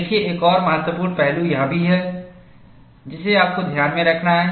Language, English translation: Hindi, See, there is also another important aspect that you have to keep in mind